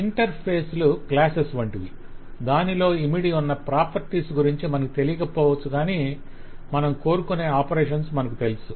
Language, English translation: Telugu, Interfaces are like classes, where we may not know the details of the properties that are inside, but we know just the operations that we want to satisfy